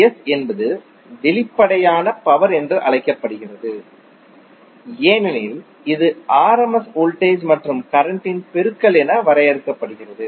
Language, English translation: Tamil, S is called as apparent power because it is defined as a product of rms voltage and current